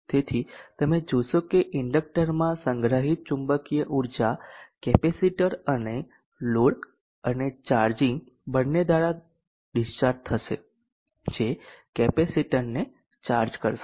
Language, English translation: Gujarati, So you will see that the inductor the stored magnetic charge in the inductor will discharge both through the capacitor and the load